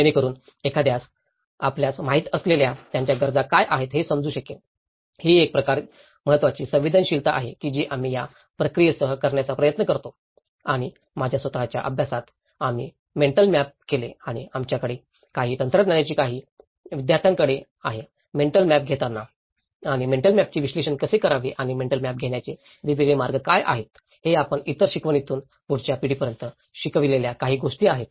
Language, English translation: Marathi, So that one can understand what are their needs you know, that is one important sensitivity we try to do with that process and also in my own study, we did the mental maps and that also some of the techniques we have some of the students have adopted in taking the mental maps and how to analyse the mental maps and what are the different ways one can take the mental map so, this is all some of the learnings which we have passed on through other learnings to the next generation